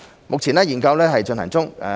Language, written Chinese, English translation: Cantonese, 目前，研究正在進行中。, The study is underway at present